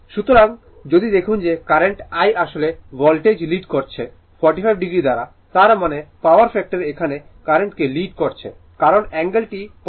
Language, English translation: Bengali, So, if you look into that that current I actually leading the voltage by 45 degree right; that means, power factor is leading current here is leading current is leading because the angle is positive right